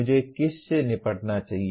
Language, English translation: Hindi, Which one should I deal with